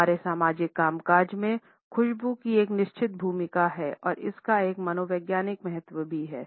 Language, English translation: Hindi, In our social functioning, scent has a certain role and it also has a psychological significance